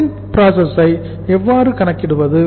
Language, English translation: Tamil, Then how to calculate the WIP